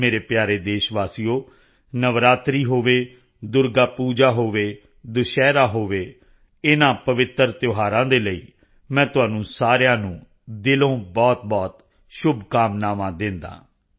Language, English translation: Punjabi, My dear countrymen, be it Navratri, Durgapuja or Vijayadashmi, I offer all my heartfelt greetings to all of you on account of these holy festivals